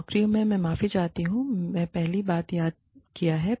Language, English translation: Hindi, And, the jobs, i am sorry, i have missed, the first point